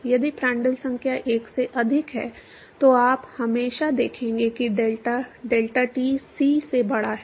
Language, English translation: Hindi, If Prandtl number is greater than 1, you will always see that delta is greater than delta c